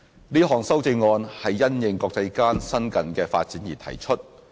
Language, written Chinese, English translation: Cantonese, 這項修正案是因應國際間新近的發展而提出。, The amendment is proposed in response to the recent international development